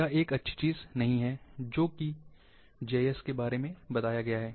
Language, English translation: Hindi, This is bad thing, which is mentioned about GIS